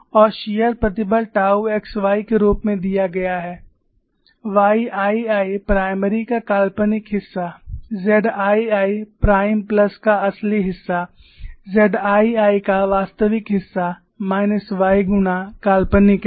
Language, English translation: Hindi, And the shear stress tau x y is given as, minus y times imaginary part o f y 2 prime plus imaginary part of z 2 prime plus real part of z 2